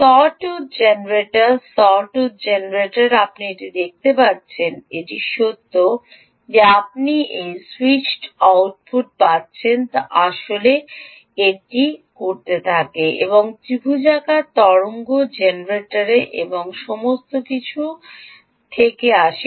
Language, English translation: Bengali, you see this, this is actually coming from the fact that you are getting a switched output is actually coming from a sawtooth and triangular, triangular wave generator and all that